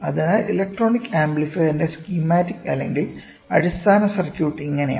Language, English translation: Malayalam, So, this is how the schematic or the basic circuit of the electronic amplifier is there